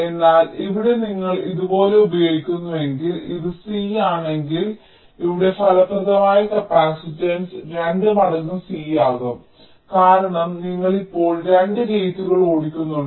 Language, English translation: Malayalam, but here, if you are using like here, suppose if this is c, then the effective capacitance here will becomes twice c because you are driving two gates